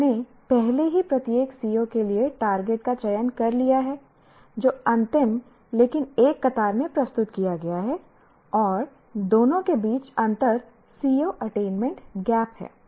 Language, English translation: Hindi, And then we get the C, we already have selected the target for each CO, which is presented in the last but one column and the difference between the two is the C O attainment gap